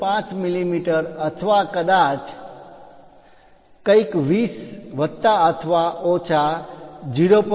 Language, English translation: Gujarati, 5 mm or perhaps something like 20 plus or minus 0